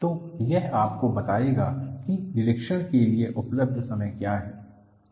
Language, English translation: Hindi, So, that would give you, what is the time available for inspection